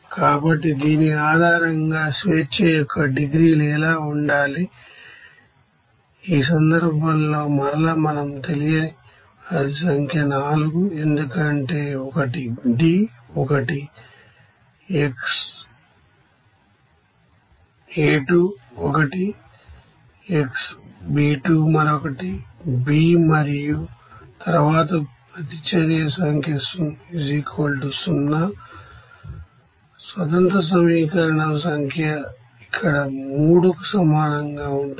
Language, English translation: Telugu, So in this case again we can say that number of unknowns = 4, why one is D, one is xA2, one is xB2 another is B and then number of reaction = 0, number of independent equation is equal to here it will be 3